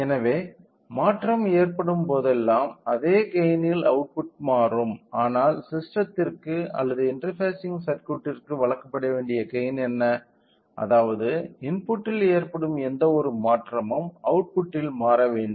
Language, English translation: Tamil, So, whenever there is a change it will also output also has changed at the same factor, but what is that factor which has to be provided to the system or the interfacing circuit such that any change in the input should change by that